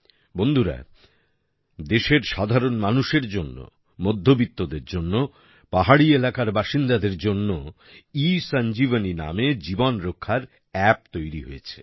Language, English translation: Bengali, Friends, ESanjeevani is becoming a lifesaving app for the common man of the country, for the middle class, for the people living in hilly areas